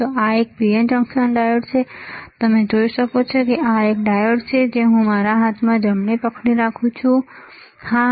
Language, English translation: Gujarati, So, this is a PN junction diode, you can see there is a this is a diode, which I am holding in my hand right, yes